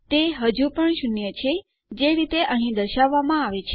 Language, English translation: Gujarati, Its still staying at zero as displayed here